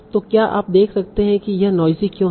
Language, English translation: Hindi, So can you see why this is noisy